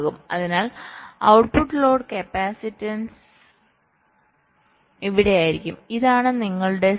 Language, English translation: Malayalam, so the output load capacitance will be here